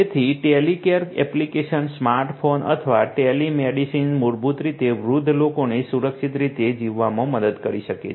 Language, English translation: Gujarati, So, Telecare applications, smart phone or telemedicine basically can help elderly people to live safely